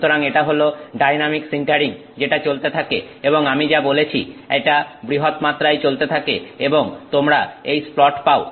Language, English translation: Bengali, So, this is dynamic sintering that is going on and as I said this is at the at the larger scale you have the splat